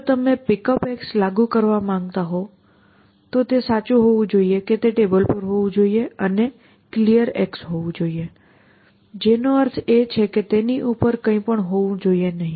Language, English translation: Gujarati, So, if you want pickup list to be applicable, it should be true that it should be on the table and it should be clear, which means nothing must be on top of it